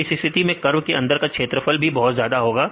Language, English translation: Hindi, So, in this case your given area under the curve that is very high